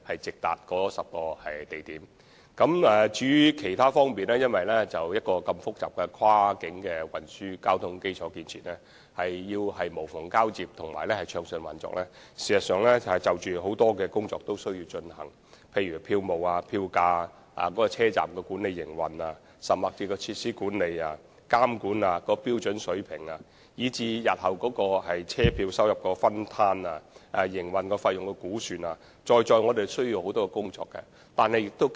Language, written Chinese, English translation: Cantonese, 至於其他方面事宜，由於涉及複雜的跨境運輸交通基礎建設，要做到無縫交接和暢順運作，事實上有很多事情需要處理，例如票務、票價、車站管理和營運，甚至設施管理、監管、標準水平，以至日後的車票收入分攤、營運費用估算，在在需要雙方合作進行磋商。, As for other issues since cross - boundary transport infrastructures of a complex nature are involved there are in fact a lot of other things for us to handle in order to achieve seamless interchange and smooth operation . These include ticketing fare levels station management and operations and even facilities management supervision standards sharing of future fare income and the estimated operating costs . All these issues must be sorted out through mutual cooperation and negotiations